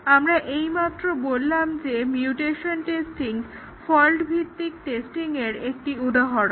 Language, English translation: Bengali, We just said mutation testing in an example of fault based testing